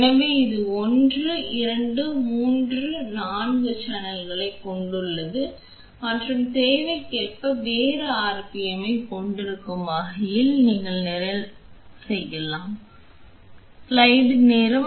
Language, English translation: Tamil, So, this has 1, 2, 3 and 4 channels and you can program it to have a different r p m depending on the requirement